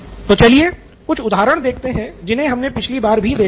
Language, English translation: Hindi, So let’s look at some of the examples we looked at last time